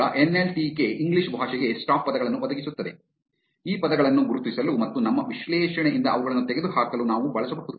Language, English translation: Kannada, Now, NLTK provides stop words for the English language which we can use to identify these words and eliminate them from our analysis